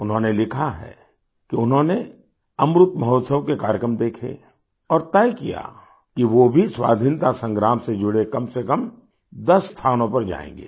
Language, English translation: Hindi, He has written that he watched programmes on Amrit Mahotsav and decided that he would visit at least ten places connected with the Freedom Struggle